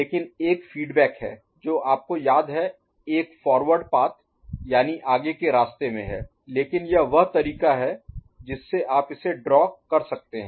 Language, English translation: Hindi, But there is one feedback you remember and one is in the forward path, but this is the way you can draw it, ok